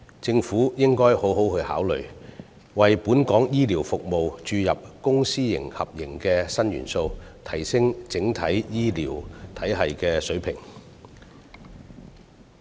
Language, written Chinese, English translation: Cantonese, 政府應該好好考慮，為本港醫療服務注入公私合營的新元素，提升整體醫療體系的水平。, The Government should seriously consider injecting the new element of public - private partnership into the healthcare services of Hong Kong to enhance the overall standard of the healthcare system